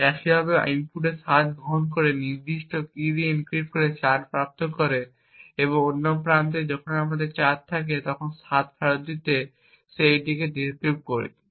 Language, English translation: Bengali, In a similar way by taking the input 7 encrypting it with a specific key and obtaining 4 and at the other end when we have 4 we decrypt it with the same key to obtain back the 7